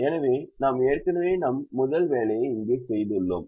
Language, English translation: Tamil, so we had already made our first assignment here